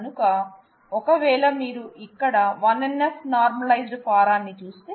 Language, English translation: Telugu, So, if we if we if you look at the 1 NF normalized form here